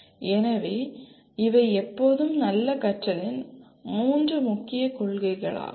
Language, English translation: Tamil, So these are the three core principles of good learning always